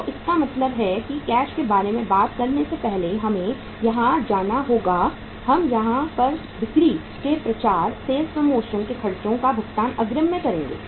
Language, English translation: Hindi, So it means we will have to go for here before we talk about the cash we will write here uh sales promotion expenses paid in advance